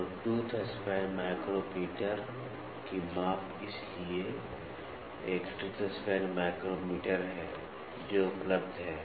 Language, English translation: Hindi, So, measurement of the tooth span micrometer so, there is a tooth span micrometer which is available